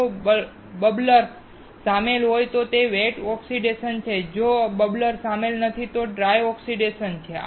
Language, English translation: Gujarati, If the bubbler is involved, it is wet oxidation, while if the bubbler is not involved, it is dry oxidation